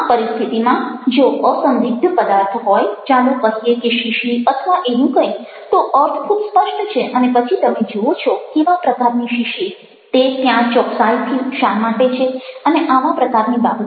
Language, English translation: Gujarati, in such a situation, if the object is unambiguous, like a, like a, lets say, bottle or whatever, then the meaning is very clear and then you find out what kind of a bottle, what exactly is it doing there, and things like that